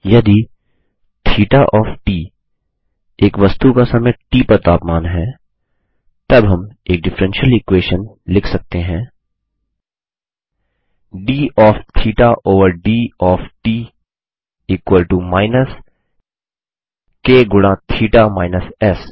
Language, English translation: Hindi, If theta of t is the temperature of an object at time t, then we can write a differential equation: d of theta over d of t is equal to minus k into theta minus S where S is the temperature of the surrounding environment